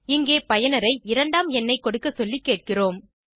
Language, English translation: Tamil, Here we ask the user to enter the second number